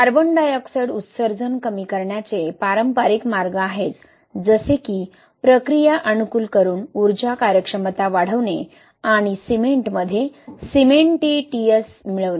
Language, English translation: Marathi, There are conventional ways of reducing CO2 emission like increasing energy efficiency by optimising processes and we can also increase the cementitious additions into cement